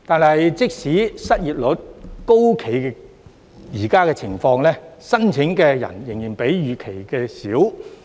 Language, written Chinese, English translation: Cantonese, 可是，即使失業率高企，現時的申請人數仍少於預期。, Nevertheless despite a high unemployment rate the current number of applicants is still lower than expected